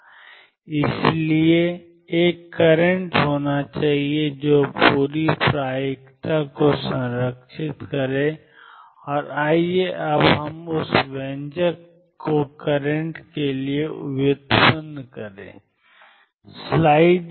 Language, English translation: Hindi, And therefore, there should be a current that makes the whole probability conserve, and let us now derive that expression for the current